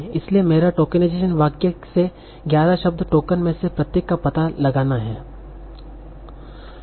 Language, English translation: Hindi, So my tokenization is to find out each of the 11 word tokens from this sentence